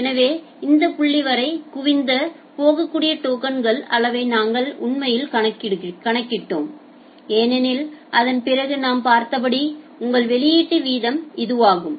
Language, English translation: Tamil, So, we actually calculated the amount of token that can get accumulated up to this point because after that it will your output rate as we have seen